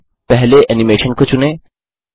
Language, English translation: Hindi, Select the second animation